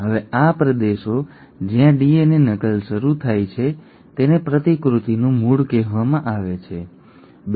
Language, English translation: Gujarati, Now these regions where the DNA replication starts is called as origin of replication, okay